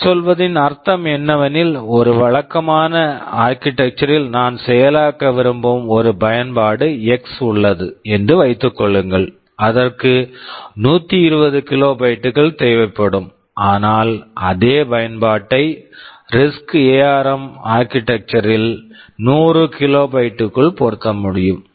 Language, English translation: Tamil, What I mean to say is that, suppose I have an application x X that I want to implement in a conventional architecture maybe it will be requiring 120 kilobytes but in RISC ARM Architecture I can fit it within 100 kilobytes